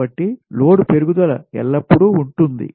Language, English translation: Telugu, so load growth is always there